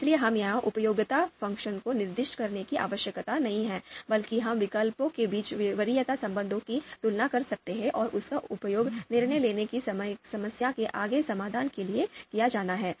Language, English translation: Hindi, So here, we don’t have to think about specify a utility function, rather we can compare the preference relations among alternatives and that is to be used for further solving of decision making problem